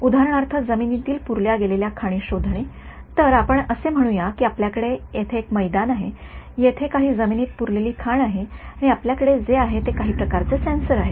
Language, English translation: Marathi, For example, buried land mine detection; so, let us say you know you have some ground over here, you have some landmine buried over here and what you have is some kind of a sensor